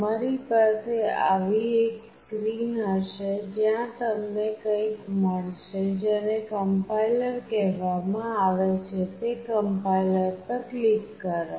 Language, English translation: Gujarati, You will have a screen like this where you will find something which is written called compiler; click on that complier